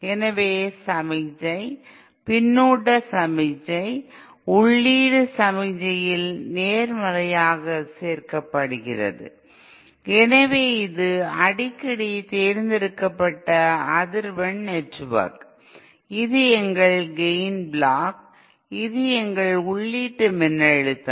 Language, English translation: Tamil, So the signal, the feedback signal is positively added to the input signal and so this is a frequently selective network, this is our gain block, this is our input voltage